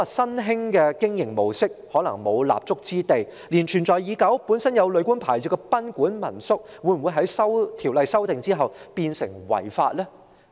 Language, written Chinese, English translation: Cantonese, 莫說新興的經營模式可能無立足之地，甚至是存在已久、本身已擁有旅館牌照的賓館和民宿，在《條例草案》修訂後也可能變成違法。, Upon the passage of the Bill not only the survival of newly emerged modes of operation will be stifled existing licensed hotels and guesthouses may also become unlawful